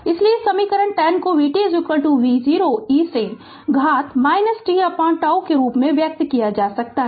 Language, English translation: Hindi, Therefore, equation 10 can be expressed as v t is equal to V 0 e to the power minus t upon tau I told you